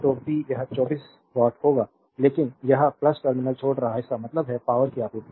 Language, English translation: Hindi, So, p it will be 24 watt, but it is leaving the plus terminal; that means, power supplied